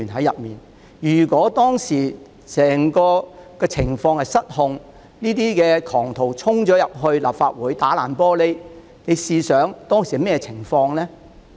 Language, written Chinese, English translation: Cantonese, 如果當時情況失控，這些狂徒打破玻璃衝進立法會，大家試想象會發生甚麼情況呢？, Had the situation gone out of control at that time those rioters would have broken the glass panels and stormed into the Legislative Council Complex . Come to imagine what could have happened